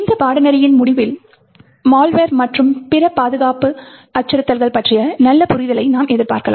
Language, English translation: Tamil, So what you can expect by the end of this course is that you will have a good understanding about the internals of malware and other security threats